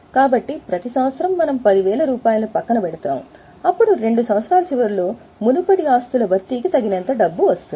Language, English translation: Telugu, So, what we do is every year, let us say we keep aside 10,000, 10,000, so that at the end of two years we have got enough money for replacement of earlier assets